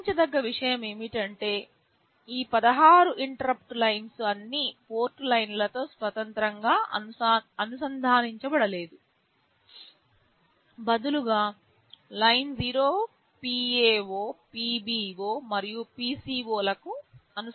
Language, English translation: Telugu, The point to note is that these 16 interrupt lines are not independently connected to all the port lines, rather Line0 is connected to PA0, PB0 and also PC0